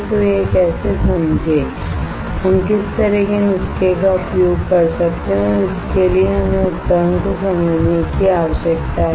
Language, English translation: Hindi, So, how to understand this, what kind of recipes we can use and for that we need to understand the equipment